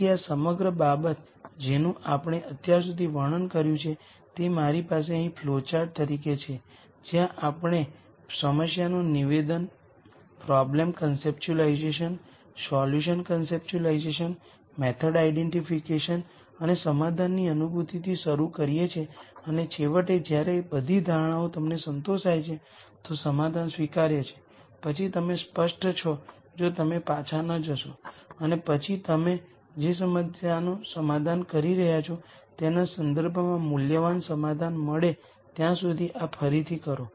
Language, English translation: Gujarati, So, the whole thing that we have described till now I have as a flowchart here where we start with the problem statement problem conceptualization, solution conceptualization, method identification and realization of solution and finally, when all are assumptions you think are satisfied, the solution is acceptable then you are home clear if not you go back and then redo this till you get a solution that is of value in terms of the problem that you are solving So, with this the gentle introduction to data science part of the lecture is done